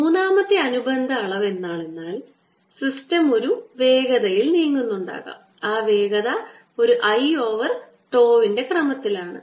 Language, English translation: Malayalam, and third related quantity would be that maybe the system is moving with some velocity and there velocity is of the order of a, l over tau